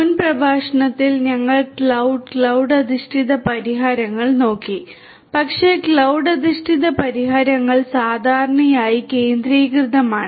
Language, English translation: Malayalam, In the previous lecture we looked at cloud, cloud based solutions, but cloud based solutions are typically centralized